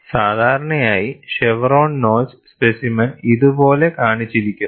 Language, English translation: Malayalam, And usually, chevron notch specimen is shown like this